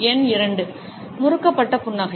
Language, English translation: Tamil, Number 2, the twisted smile